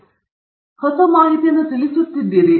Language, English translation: Kannada, So, you are conveying important new information